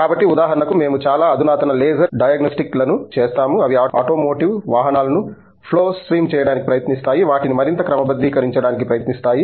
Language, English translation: Telugu, So, for example, we do very advanced laser diagnostics which can be applied to let’s say, flow pass automotive vehicles in trying to making them more streamline and so on